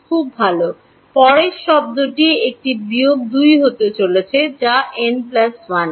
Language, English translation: Bengali, Delta x, very good; next term is going to be a minus 2 that is n plus 1 right